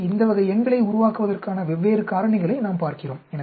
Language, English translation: Tamil, So, we look at different factorials of creating this type of numbers